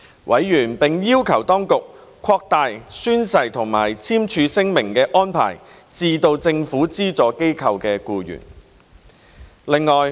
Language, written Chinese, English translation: Cantonese, 委員並要求當局擴大宣誓或簽署聲明的安排至政府資助機構僱員。, Members also requested the Administration to extend the oath - takingdeclaration arrangements to employees of government - funded bodies